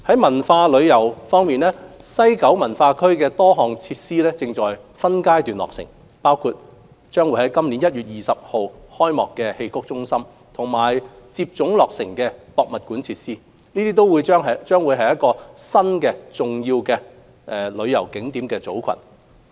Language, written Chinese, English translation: Cantonese, 文化旅遊方面，西九文化區內多項設施正分階段落成，包括將於今年1月20日開幕的戲曲中心和接踵落成的博物館設施，將會是新一個重要旅遊景點組群。, On cultural tourism a number of facilities in the West Kowloon Cultural District WKCD will be completed in phases including the Xiqu Centre to be officially open on 20 January 2019 and museum facilities in the pipeline . WKCD will be a new integral cluster of tourist attractions